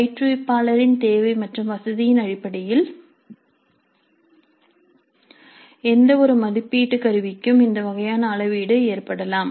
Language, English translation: Tamil, So it's possible and this kind of a scaling down can happen for any assessment instrument based on the need and the convenience of the instructor